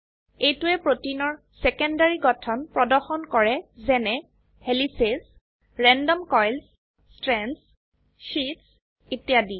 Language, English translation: Assamese, This display shows the secondary structure of protein as helices, random coils, strands, sheets etc